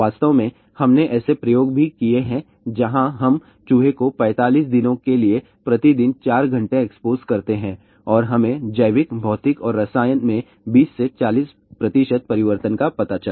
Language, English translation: Hindi, In fact, we have also done experiments where we expose the rat for 4 hours every day for 45 days and we found out 20 to 40 percent changes in biological, physical and chemical